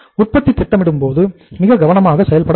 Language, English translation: Tamil, Production planning should be very very carefully done